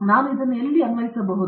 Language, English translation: Kannada, Where can I apply this